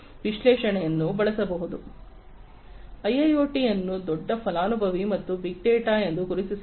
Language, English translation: Kannada, So, IIoT can be recognized as a big benefactor or big data